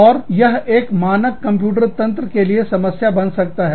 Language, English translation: Hindi, And, that becomes a problem, for a standard computer system